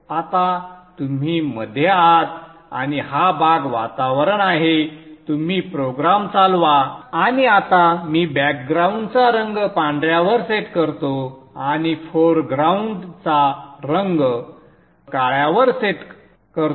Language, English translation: Marathi, Now you are into the Engie Spice environment you have you ran the program and now let me set the background color to white and set the foreground color to black